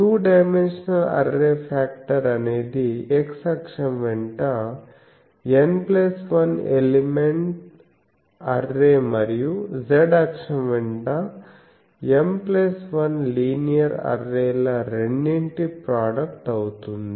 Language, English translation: Telugu, The two dimensional array factor will be the product of the array factor for M plus 1 linear array along the z axis with the array factor for the N plus 1 elements array along the x